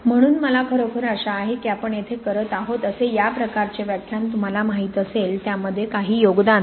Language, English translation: Marathi, So I really hope that, you know this kind of lecture like we are doing here, kind of make some contribution to that